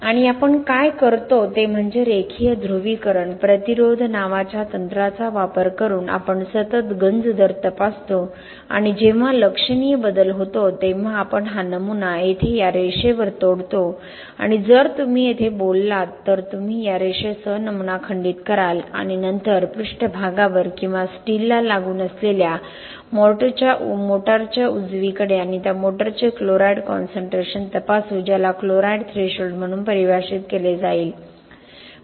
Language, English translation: Marathi, And what we do is we continuously check the corrosion rate using the technique called linear polarisation resistance and when there is a significant change we break this specimen right here along this line and then we determine what is the or you know if you talk about here you will break the specimen along this line and then right at the surface or the motor which is adjacent to the steel we will check the chloride concentration of that motor which will be defined as the chloride threshold